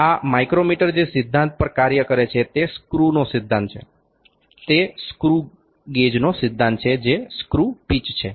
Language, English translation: Gujarati, The principle on which this micrometer work is the principle of screw, it is the principle of the screw gauge that is the screw pitch